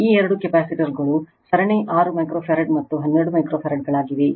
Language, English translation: Kannada, These two capacitors are there in series 6 microfarad, and 12 microfarads right